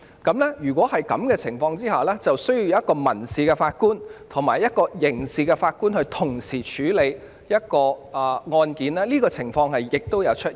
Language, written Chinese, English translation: Cantonese, 在這情況下，便需要由1名民事法官及1名刑事法官同時處理案件，而這種情況亦的確曾經出現。, In this circumstance a civil judge and a criminal judge will be required to handle the case together and this had also happened before